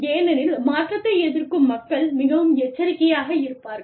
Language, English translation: Tamil, Because, people, who are resistant to change, will be more cautious